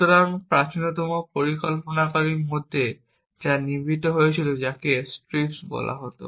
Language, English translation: Bengali, So, one of the earliest planners that was built was called strips